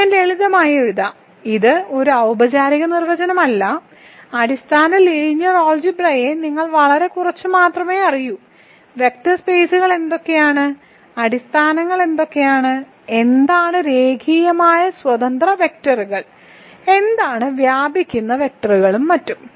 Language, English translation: Malayalam, So, I will simply write, this is not a formal definition as I said you only need to know basic linear algebra very little, not a lot just notions of what are vector spaces, what are bases, what are linearly independent vectors, what are spanning vectors and so on